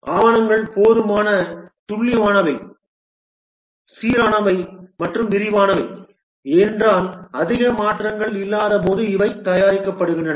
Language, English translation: Tamil, The documents are sufficiently accurate, consistent and detailed because these are prepared when there are no more changes